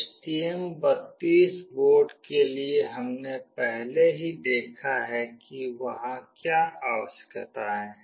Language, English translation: Hindi, For STM32 board we have already seen what are the requirements that are there